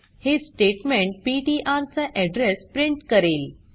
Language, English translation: Marathi, This statement will print the address of ptr